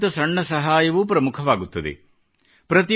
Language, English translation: Kannada, Even the smallest help matters